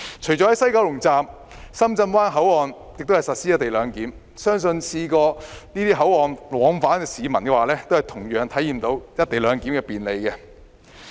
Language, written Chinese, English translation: Cantonese, 除了西九龍站，深圳灣口岸亦實施"一地兩檢"，相信曾在這些口岸往返香港的市民，同樣體驗到"一地兩檢"的便利。, In addition to the West Kowloon Station the co - location arrangement is implemented at the Shenzhen Bay Port too . I believe that people who have used these control points for travel before must have experienced the convenience brought by the co - location arrangement as well